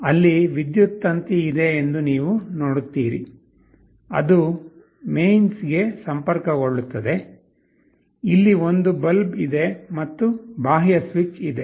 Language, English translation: Kannada, You see there is an electric power cord, which will be connected to the mains, there is the bulb and there is an external switch